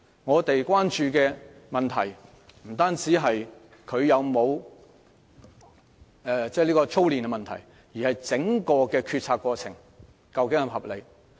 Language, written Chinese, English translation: Cantonese, 我們關注的問題不單關乎會否構成操練，而是整個決策過程是否合理。, We are concerned not only about whether drillings will be done but also whether the entire policymaking process is reasonable